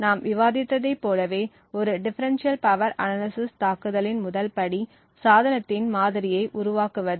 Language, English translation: Tamil, So, as we discussed the first step in a differential power analysis attack is to create a model of the device